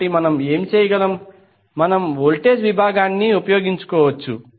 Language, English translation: Telugu, So what we can do, we can utilize the voltage division